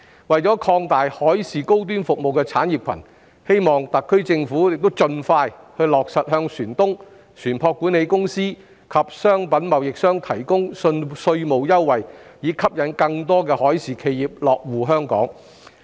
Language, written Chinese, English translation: Cantonese, 為擴大海事高端服務產業，希望特區政府亦盡快落實向船東、船舶管理公司及商品貿易商提供稅務優惠，以吸引更多海事企業落戶香港。, In order to expand the high - end maritime services industry I hope that the SAR Government will also implement the provision of tax concessions to ship owners ship management companies and merchandise traders as soon as possible so as to attract more maritime enterprises to establish their bases in Hong Kong